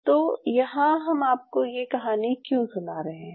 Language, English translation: Hindi, Why I am telling you this story